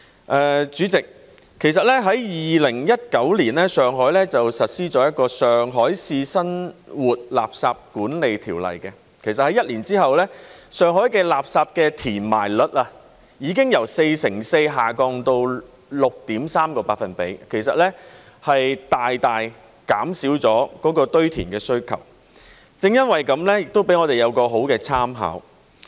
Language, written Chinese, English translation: Cantonese, 代理主席 ，2019 年，上海實施了《上海市生活垃圾管理條例》。一年後，上海的垃圾填埋率已經由四成四下降至 6.3%， 大大減少了堆填的需求，這亦作為我們很好的參考。, Deputy President in 2019 Shanghai implemented the Regulations of Shanghai Municipality on Municipal Solid Waste Management and one year after that the landfilling rate in Shanghai dropped from 44 % to 6.3 % and the demand for landfilling has been greatly reduced